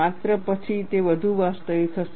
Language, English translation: Gujarati, Only then, it will be more realistic